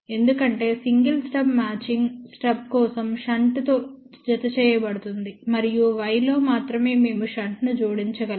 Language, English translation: Telugu, It is because recall for single stub matching stub is added in shunt and in y only we can add shunt